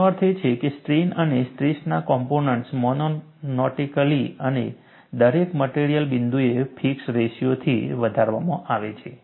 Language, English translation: Gujarati, This means, that the strain and stress components are increased monotonically and in a fixed ratio at each material point